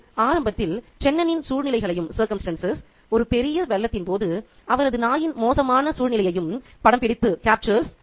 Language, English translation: Tamil, It captures the circumstances of Chenin initially and his dog's dire situation during a massive flood